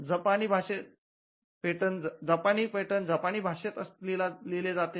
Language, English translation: Marathi, Now a Japanese patent will be written in Japanese language